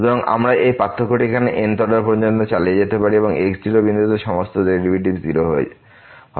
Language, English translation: Bengali, So, we can continue this differentiation here up to the th order and all these derivatives at point will be 0